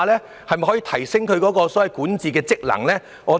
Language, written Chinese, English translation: Cantonese, 是否可以提升他們的管治職能呢？, Can their governance functions be enhanced?